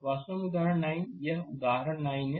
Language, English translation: Hindi, So, this is actually example nine this is your example 9 right